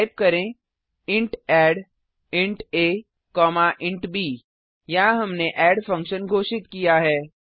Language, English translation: Hindi, Type int add(int a, int b) Here we have declared a function add